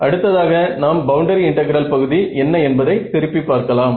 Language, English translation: Tamil, So, next we will see what is the just revise the boundary integral part ok